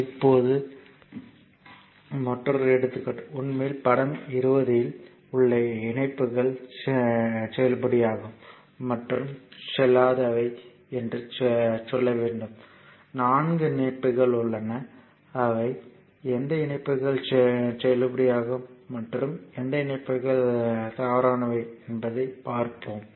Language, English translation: Tamil, Next is another example now this is actually state which interconnects in figure 20 are valid and which are invalid you have to tell, there are 4 connections that which connections are valid and which connections are in connections are invalid